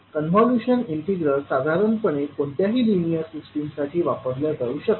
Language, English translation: Marathi, Now the convolution integral is the general one, it applies to any linear system